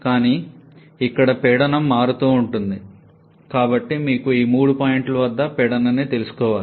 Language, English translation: Telugu, But here as the pressure is varying so you need to know pressure at all these three points